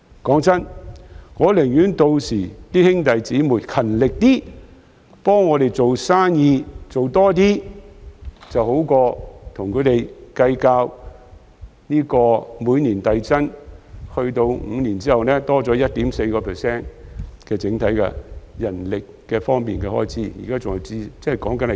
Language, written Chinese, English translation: Cantonese, 老實說，我寧可公司的兄弟姊妹們屆時勤力一些，替我們多掙點營業額，總好過與他們計較每年遞增 ，5 年後增加 1.4% 的整體人力開支，況且現時說的是前線的情況。, Frankly speaking I would rather the brothers and sisters of my company to work harder to increase business turnover for us than to haggle over the 1.4 % increase in manpower cost to be incurred progressively five years later . After all we are talking about the frontline situation